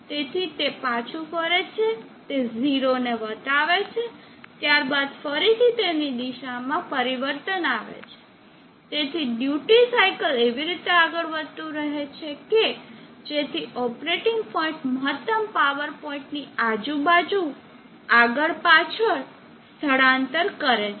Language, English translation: Gujarati, So it moves back again it cross the 0, then again there is a change in direction, so duty cycle keeps moving in such a way that operating point keeps shifting back and forth around the maximum power point